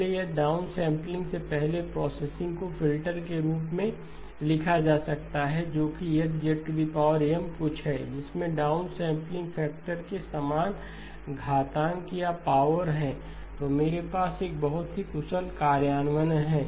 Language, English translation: Hindi, So if my processing before downsampling can be written as a filter which is H of Z power M something which has the same exponent or power as the down sampling factor then I have a very efficient implementation